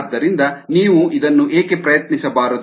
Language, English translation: Kannada, ok, so why don't you try this out